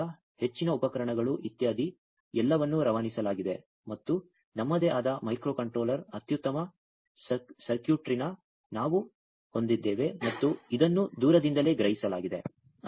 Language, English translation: Kannada, So, much equipment etcetera, everything was by passed and we have our own micro controller best circuitry and this was also remotely sensed